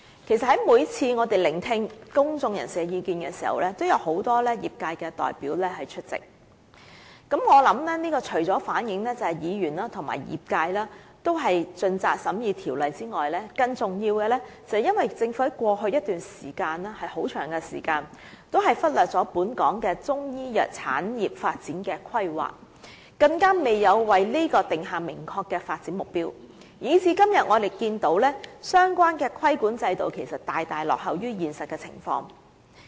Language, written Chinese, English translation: Cantonese, 其實，每次我們在聆聽公眾人士的意見時，有很多業界代表出席，我想這除了反映議員和業界也是盡責地審議《條例草案》外，更重要的是，政府在過去一段長時間也忽略了本港的中醫藥產業發展的規劃，更未有為此訂下明確的發展目標，以致今天我們看見相關的規管制度大大落後於現實的情況。, In fact on each occasion when we listened to the views of members of the public many industry representatives were present and I think that apart from reflecting the diligence of both Members and the industry in scrutinizing the Bill more importantly this also reflects the fact that the Government has neglected the planning for the development of the Chinese medicine industry in Hong Kong for a long time and still less has it set any definite development goal . As a result nowadays we find that the regulatory regime is lagging far behind the actual situation